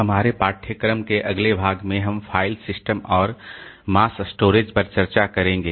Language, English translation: Hindi, In the next part of our course, so we will be discussing on file system and mass storage